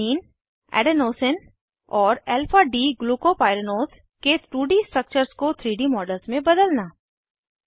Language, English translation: Hindi, * Convert 2D structures of Alanine, Adenosine and Alpha D glucopyranose to 3D models